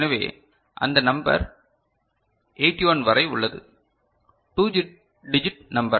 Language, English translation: Tamil, So, if you look at it that the number is up to 81, so, 2 digit number